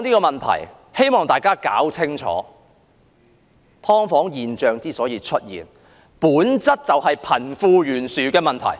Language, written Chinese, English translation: Cantonese, 我希望大家搞清楚一點，"劏房"現象之所以出現，本質就是貧富懸殊的問題。, I hope Members would understand that the emergence of subdivided units is in nature a problem of disparity between the rich and the poor